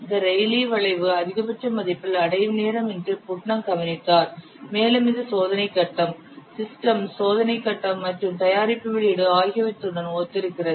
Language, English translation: Tamil, Putnam observed that the time at which the Raleigh curve reaches its maximum value, it corresponds to the system testing after a product is released